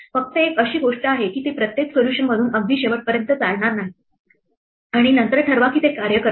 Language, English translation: Marathi, The only thing is that it will not run through every solution to the very end and then decide it does not work